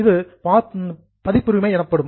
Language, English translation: Tamil, It is registered as a copyright